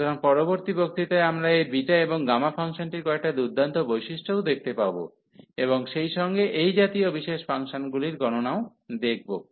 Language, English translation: Bengali, So, in the next lecture, we will also see some nice properties of this beta and gamma function also the evaluation of these such special functions